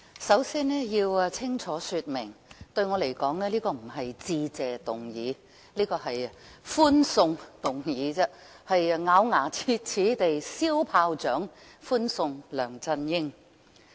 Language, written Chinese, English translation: Cantonese, 首先，我要清楚說明，對我而言這一項議案並非"致謝議案"，而是"歡送議案"，是要咬牙切齒地燒炮竹歡送梁振英。, First I must make it clear that to me this is a Farewell Motion rather than a Motion of Thanks because we are so infuriated by LEUNG Chun - ying that we all want to send him quickly away with a loud bang of firecrackers